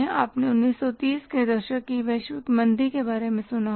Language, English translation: Hindi, You must have heard about the global recession of 1930s